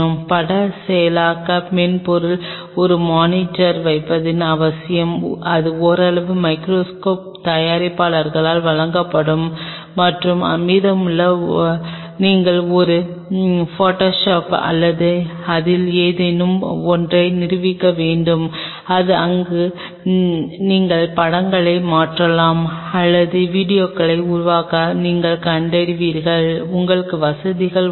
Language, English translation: Tamil, And the need for having a monitor along with image processing software’s, which partly will be provided by the microscope makers and rest you may have to have a photoshop or something installed in it where you transfer the images or you found to make a video what all facilities you have ok